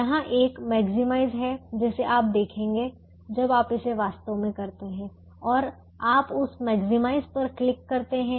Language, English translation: Hindi, therefore, i click the maximize, there is a maximize here which you will see when you actually do it, and you click that maximize